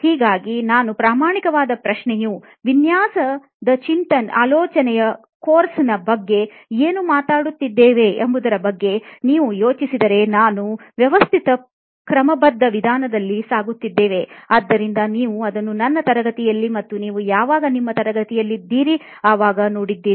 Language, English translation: Kannada, So for me the honest question is in design thinking itself if you think about what we have been talking about in the course itself is that we are going through it in a systematic methodic approach, right so you have seen it in my class as well when you were in my class